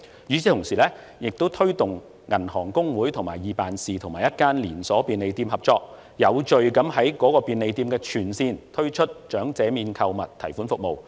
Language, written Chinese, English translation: Cantonese, 與此同時，我們亦推動香港銀行公會及易辦事與一間連鎖便利店合作，有序地在該便利店的全線分店推出長者免購物提款服務。, Meanwhile we had also pushed the Hong Kong Associations of Banks and EPS in collaboration with a chained convenient store to launch this service at all branches of the chained convenient store in an orderly manner